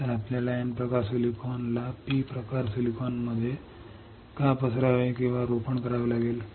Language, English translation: Marathi, So, we have to diffuse or implant the N type silicon in to the P type silicon why